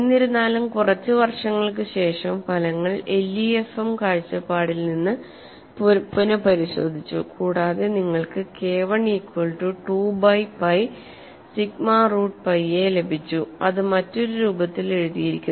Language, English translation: Malayalam, However, some years later the results were reexamined from the LEM point of view and you have got the result for K 1 equal to 2 divided by pi sigma root pi a written in another form as 0